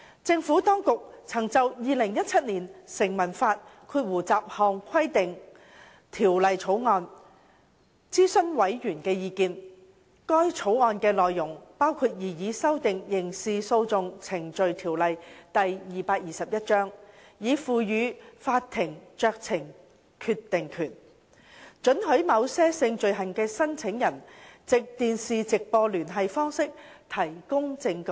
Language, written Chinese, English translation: Cantonese, 政府當局曾就《2017年成文法條例草案》諮詢委員的意見，該條例草案的內容包括擬議修訂《刑事訴訟程序條例》，以賦予法庭酌情決定權，准許某些性罪行的申訴人藉電視直播聯繫方式提供證據。, The Administration consulted the Panel on the Statute Law Bill 2017 which included the proposed amendment to the Criminal Procedure Ordinance Cap . 221 to give the Court a discretion to permit complainants of certain sexual offences to give evidence by way of a live television link